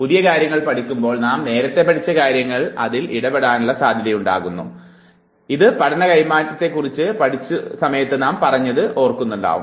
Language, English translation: Malayalam, You remember when we were talking about transfer of learning at that time also we said that there is a possibility that things which are learnt previously might interfere with the learning of the new task